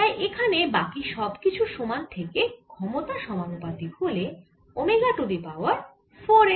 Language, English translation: Bengali, you saw that the power coming out is proportional to omega raise to four